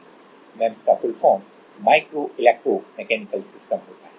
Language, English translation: Hindi, Full form MEMS is as full form MEMS is Micro Electro Mechanical Systems